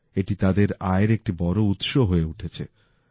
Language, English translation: Bengali, This is becoming a big source of income for them